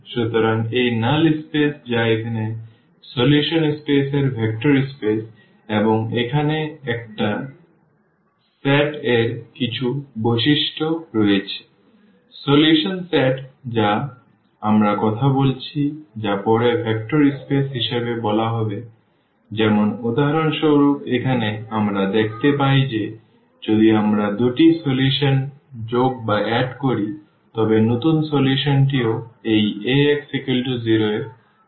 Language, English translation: Bengali, So, this null space which is the solution space here is a vector space and there are some properties of a set here, the solution set which we are talking about which will be later called as a vector space like for instance here we see that if we add 2 solutions the new solution will be also solution of this Ax is equal to 0 equation